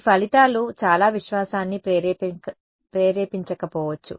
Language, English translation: Telugu, These results may not inspire too much confidence right